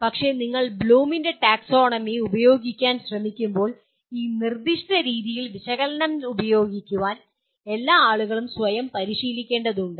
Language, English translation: Malayalam, But, so when you are trying to use the Bloom’s taxonomy all the people will have to discipline themselves to use analyze in a very in this very specific manner